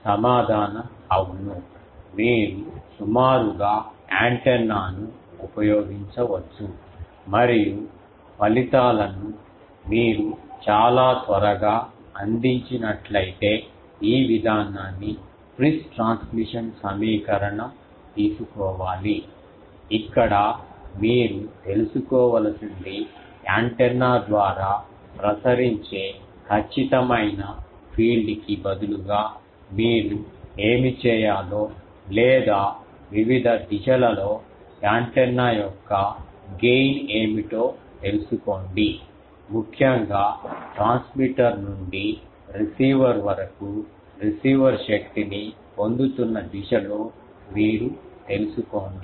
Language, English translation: Telugu, The answer is yes, you can approximately use the antenna and the results soon very much provided you take this approach Friis transmission equation where you need to know that instead of the exact field of radiated by antenna you should perform, or find out what is the gain of the antenna in various directions where you are interested particularly in the from the transmitter to the receiver the direction in where the receiver is receiving a thing power